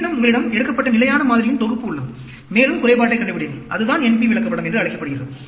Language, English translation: Tamil, Again, you have constant set of sample taken, and find out the defective, that is called the NP chart